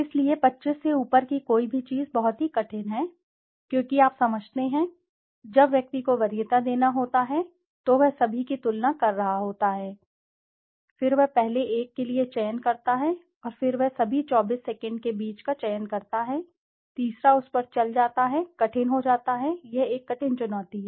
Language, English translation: Hindi, So, anything above 25 it is very, very difficult, because you understand, when the person has to give a preference he is comparing all the 25 brands, then he selects for the first one and then he selects among all 24 second one, third goes on it becomes tougher, it is very a tough challenge